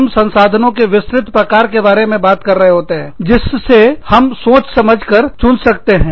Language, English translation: Hindi, We are talking about, a wide variety of resources, that we can pick and choose from